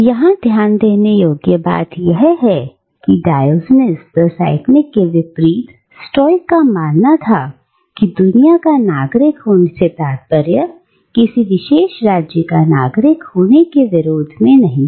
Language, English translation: Hindi, But, what is to be noted here is, unlike Diogenes the Cynic, the Stoics believed that being a citizen of the world was not in itself in opposition to being a citizen of a particular State